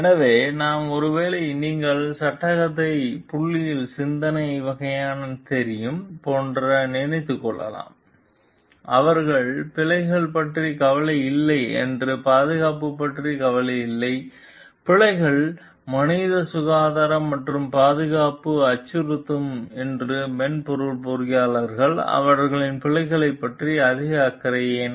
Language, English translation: Tamil, So, we may be thinking like we maybe you know kind of thinking in the point of dilemma, they are concerned about bugs they are not concerned about safety that is not the case, the bugs me threaten human health and safety that is why as software engineers they are more concerned about the bugs